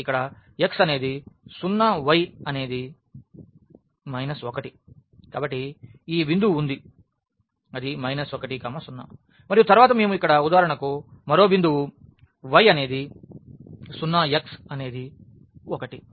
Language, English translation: Telugu, So, here when x is 0 y is minus 1 so, this is the point minus 1 0 and then we can have another point for instance here 1 y is 0 x is 1